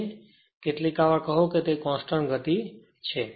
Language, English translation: Gujarati, So, sometimes we call it has a constant speed right